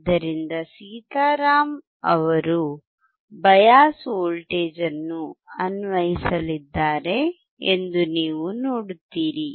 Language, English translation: Kannada, So, you will see that Sitaram is going to apply the bias voltage